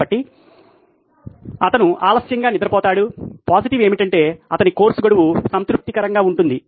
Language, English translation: Telugu, So, he goes to sleep late, the positive is that his course deadlines are satisfied